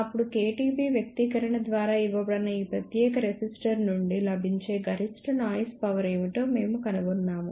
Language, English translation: Telugu, Then we found out what is the maximum available noise power from this particular resistor that is given by the expression kTB